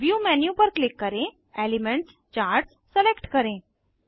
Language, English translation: Hindi, Click on View menu, select Elements Charts